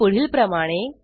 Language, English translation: Marathi, These are listed below